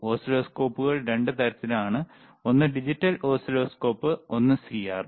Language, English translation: Malayalam, Oscilloscopes are of 2 types: one is digital oscilloscope,